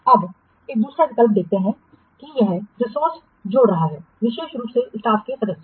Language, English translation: Hindi, Now let's see the second option that is this adding resources especially the staff members